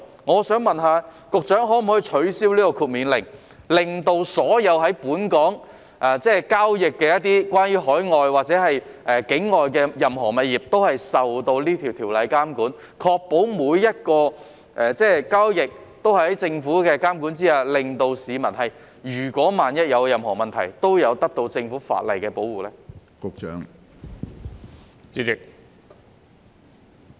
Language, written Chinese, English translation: Cantonese, 我想問局長可否取消豁免領牌令，使所有在本港交易的任何境外物業都受到條例監管，確保每項交易也在政府的監管下進行，令市民萬一遇到任何問題時都可得到法例的保護呢？, May I ask the Secretary whether the exemption from licensing order can be abolished so that all transactions of overseas properties conducted in Hong Kong will be regulated under the law to ensure that each and every such transaction is conducted under the Governments regulation and that the public are protected by the law in case they run into any problem?